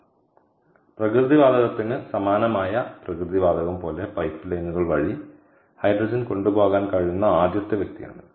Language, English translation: Malayalam, so this is the first person to such that hydrogen could be transported via pipelines likes natural gas, similar to natural gas